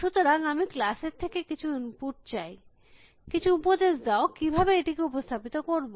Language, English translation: Bengali, So, I want some input from the class, some suggestion how can I represent this problem